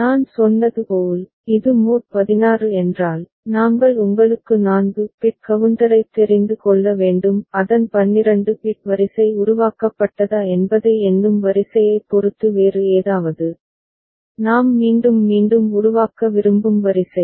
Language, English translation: Tamil, As I said, if it is mod 16, then we have to have you know 4 bit counter; any other depending on the counting sequence whether its 12 bit sequence generated, sequence we want to generate repetitively